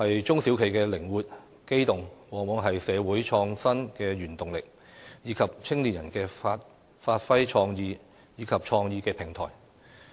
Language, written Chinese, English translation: Cantonese, 中小企的靈活、機動，往往是社會創新的原動力，以及青年人發揮創意及創業的平台。, Given their flexibility and mobility SMEs are often a driving force for social innovation providing a platform for young people to show their creativity and start their businesses